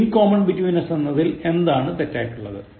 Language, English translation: Malayalam, What is wrong with, in common between us